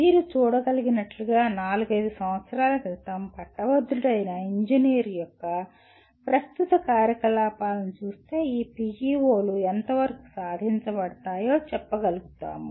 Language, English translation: Telugu, As you can see, looking at the present activities of an engineer who graduated four to five years earlier we will be able to say to what extent these PEOs are attained